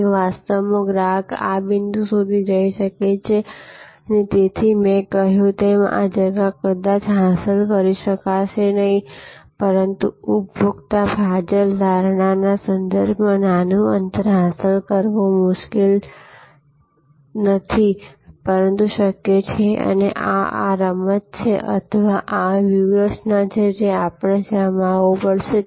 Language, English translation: Gujarati, And in reality the customer may go up to this point and so as I said this gap, may not be achievable, but smaller gap in terms of consumer surplus perception may be possible to achieve and this is the game or this is the strategy that we have to deploy